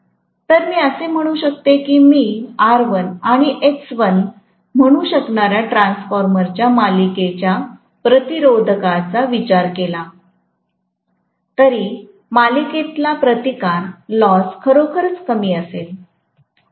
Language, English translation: Marathi, So, I can say that even if I consider the series resistance of the transformer which I may say R1 and X1, the series resistance loss is going to be really really small